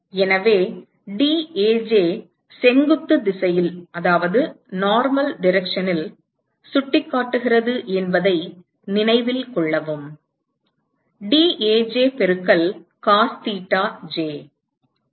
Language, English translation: Tamil, So, note that dAj is pointing in the normal direction, dAj into cos thetaj right